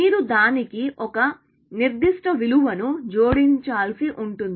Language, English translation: Telugu, So, you will need to add a certain value to that, essentially